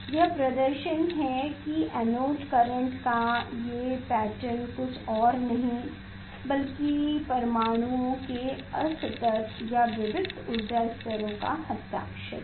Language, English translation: Hindi, this is the demonstration that these pattern of the anode current is nothing, but the signature of the discrete energy levels of the atom